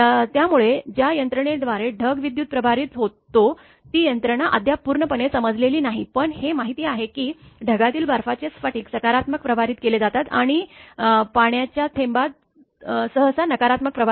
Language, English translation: Marathi, So, the mechanism by which the cloud becomes electrically charged is not yet fully understood right, but it is known that ice crystals in an cloud are positively charged and the water droplet us usually carry negative charge